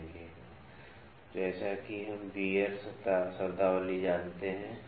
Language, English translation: Hindi, So, as we know the gear terminology